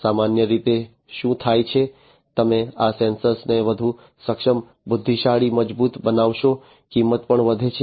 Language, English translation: Gujarati, Typically, what happens is the more you make these sensors much more competent intelligent robust and so on the price also increases